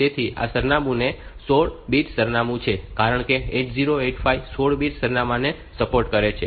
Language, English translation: Gujarati, So, address is a 16 bit address, because 8085 supports 16 bit address